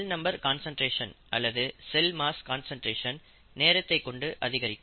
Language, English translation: Tamil, In other words, the cell number concentration or the cell mass concentration increases with time